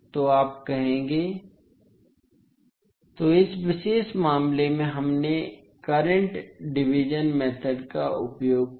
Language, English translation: Hindi, So, here in this particular case we used current division method